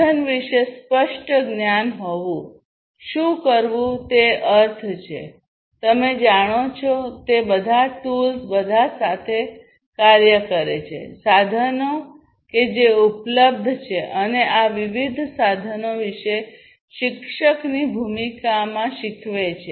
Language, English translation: Gujarati, Learn means having clear knowledge about the tools; do means perform, all the tools you know act with all the tools that are available, and teach move into the role of a teacher to teach about these different tools